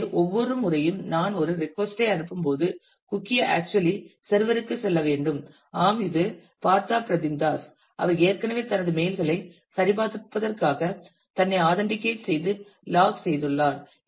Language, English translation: Tamil, So, every time I send a request the cookie actually has to go to tell the server that yes this is the Partha Pratim Das who is already logged in an authenticated himself for checking his mails